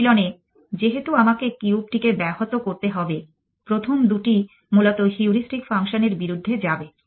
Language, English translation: Bengali, In practice since I have to disrupt the cube on the way I will be first two go against the heuristic function essentially